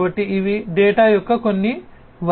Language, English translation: Telugu, So, these are some of the sources of data